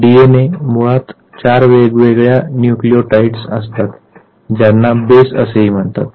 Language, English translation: Marathi, Now, DNA is basically comprised of four different nucleotides which are also called as bases